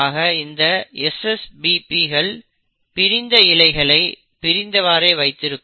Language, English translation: Tamil, So this SSBPs will now keep the separated strands separated